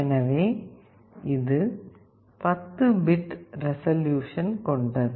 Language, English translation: Tamil, So, this has 10 bit resolution